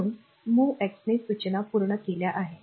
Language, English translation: Marathi, So, MOVX instruction is complete